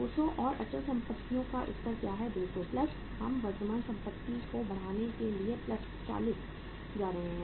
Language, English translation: Hindi, 200 and what is the level of the fixed assets 200 plus we are going to increase the current assets plus 40